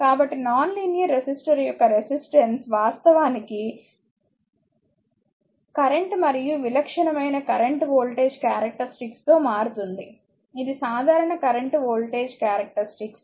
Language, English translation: Telugu, So, resistance of a non linear resistor actually varies with current and typical current voltage characteristic is this is the typical current voltage characteristic